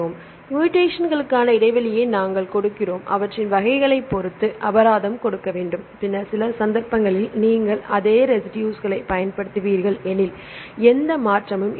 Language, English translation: Tamil, So, we give the gap penalty for the mutations right we need to give the penalty depending upon the types of mutations, then some case you will use the same residue there is no change